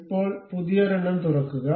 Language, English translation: Malayalam, Now, open a new one